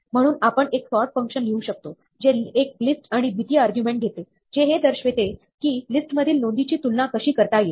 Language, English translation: Marathi, So, we could write a sort function, which takes a list, and takes a second argument, which is, how to compare the entries in the list